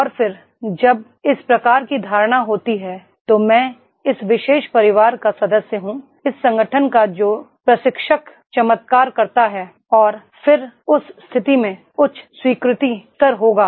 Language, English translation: Hindi, And then when this type of notion is there that is I am the member of this particular family, of this organization which the trainer makes the miracle happens and then in that case high acceptance level will be there